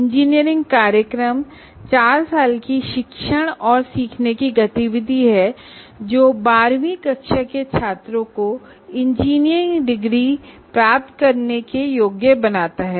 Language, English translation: Hindi, Engineering program is a four year teaching and learning activity that can qualify 12th standard graduates to the award of engineering degrees